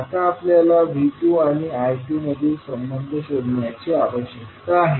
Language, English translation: Marathi, Now, we need to find out the relationship between V2 and I2